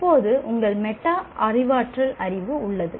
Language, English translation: Tamil, Now you have metacognitive knowledge